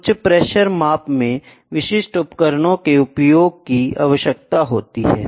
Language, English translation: Hindi, High pressure measurements necessitate the use of specific devices